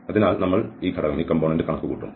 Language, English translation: Malayalam, So, we will compute the component by this